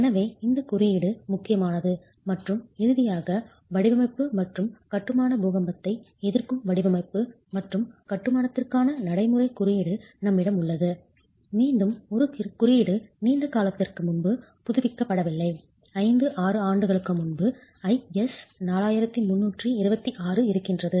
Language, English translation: Tamil, And finally, we have the code, which is a code of practice for design and construction, earthquake rest in design and construction, again a code that has been updated not too long ago, but 5, 6 years ago, IS 4326